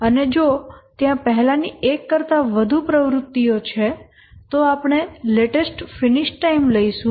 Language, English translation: Gujarati, And if there is more than one previous activity, we will take the latest finish time